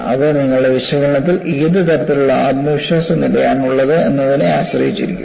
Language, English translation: Malayalam, How below, depends on what kind of a confidence level you have in your analysis